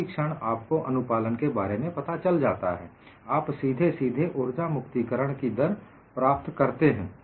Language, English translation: Hindi, The moment you know the compliance, it is straight forward for you to get the energy release rate